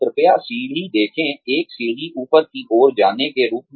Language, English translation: Hindi, Please, see the staircase, as a staircase going upwards